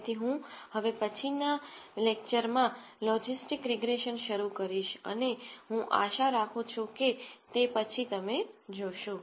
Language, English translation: Gujarati, So, I will start logistic regression in the next lecture and I hope to see you then